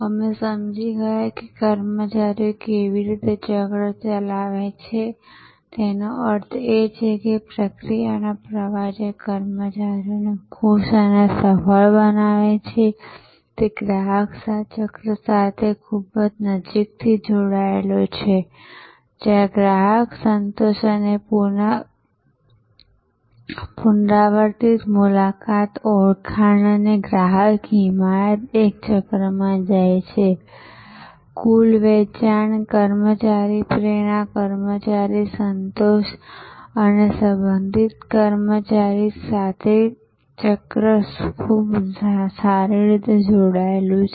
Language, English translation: Gujarati, We understood that how the employees cycle; that means, the process flow that makes the employee’s happy and successful is so closely tied to the customer cycle, where the customer satisfaction and repeat visit and referrals and customer advocacy go in a cycle, very well coupled with the employee cycle related to employee turnover, employee motivation, employee satisfaction and so on